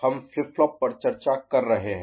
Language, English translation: Hindi, We have been discussing flip flops